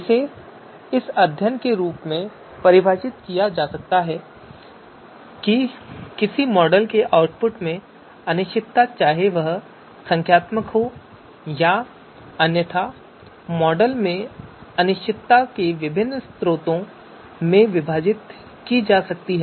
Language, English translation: Hindi, So one definition which is here that study of how the uncertainty in the output of a model whether numerical or otherwise can be apportioned to different sources of uncertainty in the model input